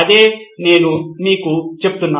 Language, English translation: Telugu, That’s what I’m telling you